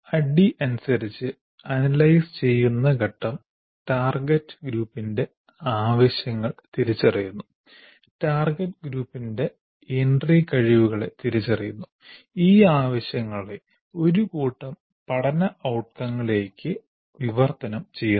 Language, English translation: Malayalam, The analysis phase as for ADD identifies the needs of the target group and identify the entry capabilities of the target group and translate the needs into a set of learning outcomes